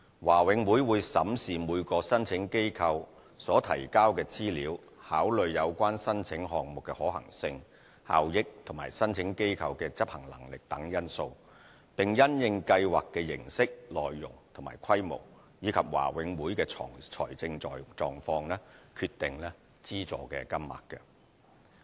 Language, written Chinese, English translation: Cantonese, 華永會會審視每個申請機構所提交的資料，考慮有關申請項目的可行性、效益及申請機構的執行能力等因素，並因應計劃的形式、內容和規模，以及華永會的財政狀況，決定資助金額。, BMCPC will examine the details submitted by the applicant taking into account such factors as feasibility and benefits of the project as well as the applicants competency in implementing the project; and decide the amount of donation having regard to the format content and scope of the project and BMCPCs financial situation